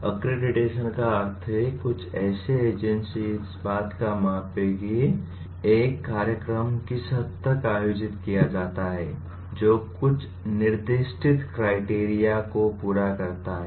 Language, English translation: Hindi, What accreditation means the some agency will measure to what extent a program that is conducted meet certain specified criteria